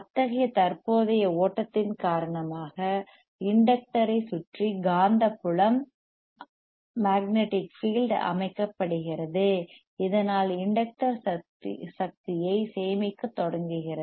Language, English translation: Tamil, Due to such current flow, the magnetic field gets set up around the inductor and thus inductor starts storing the energy